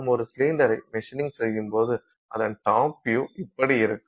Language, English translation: Tamil, Let's say you are trying to machine a cylinder and let's say this is the top view of that cylinder